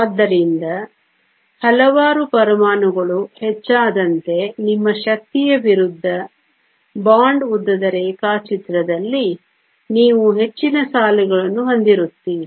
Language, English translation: Kannada, So, thus as a number of atoms increases you will have more lines on your energy versus bond length diagram